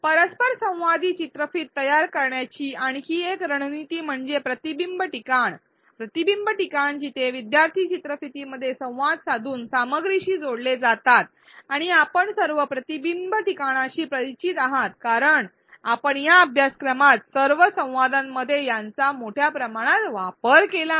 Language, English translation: Marathi, Another strategy to design interactive videos are reflection spots, reflection spots are points within a video where learners connect to the content by interacting with it and you will all be familiar with reflection spots because we have extensively used it in all the learning dialogues in this course